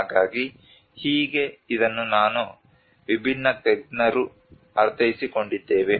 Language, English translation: Kannada, So this is how it has been understood by I mean different experts